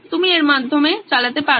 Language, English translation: Bengali, You can run through it